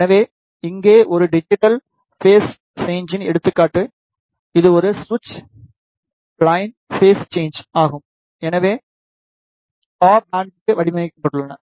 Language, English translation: Tamil, So, here is the example of a digital phase shifter, which is a switched line phase shifter, it is designed for curve end